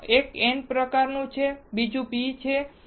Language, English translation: Gujarati, So, one is n type and another one is p type